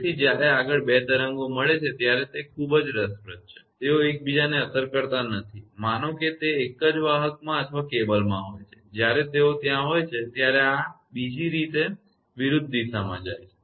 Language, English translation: Gujarati, So, further when 2 waves meet this is very interesting they do not affect each other, suppose in the same conductor right or cable when they there is when is going this way another is going opposite direction